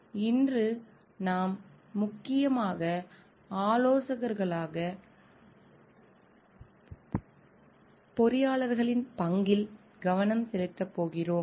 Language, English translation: Tamil, Today we are going to focus on the role of engineers as consultants